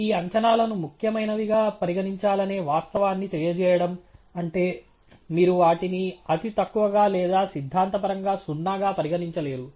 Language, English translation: Telugu, Conveying the fact that these estimates are to be treated as significant, which means you cannot really treat them to be negligible or theoretically zero